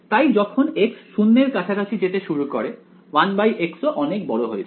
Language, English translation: Bengali, So, as x tends to 0 1 by x also blows up right